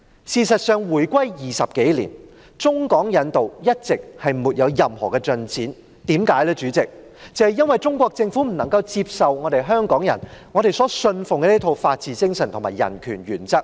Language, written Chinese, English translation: Cantonese, 事實上，回歸20多年，中港引渡一直沒有任何進展，因為中國政府不能接受香港人所信奉的一套法治精神和人權原則。, In fact over the 20 years or so since the reunification no progress has been made on China - Hong Kong extradition for the Chinese Government does not accept the spirit of the rule of law and the principles of human rights upheld by Hong Kong people